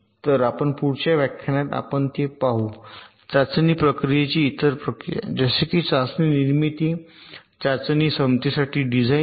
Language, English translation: Marathi, ok, so in our next lecture that will follow, we shall be looking at the other processes of testing, like test generation, design for test ability, etcetera